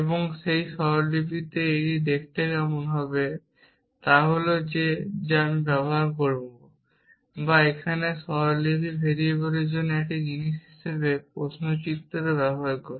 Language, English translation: Bengali, And the in that notation what this will look like is a that I will use or here and the notation uses the question mark as a thing for variable